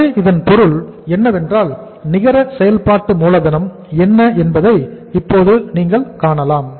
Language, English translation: Tamil, So it means now you can see that the what is the net working capital NWC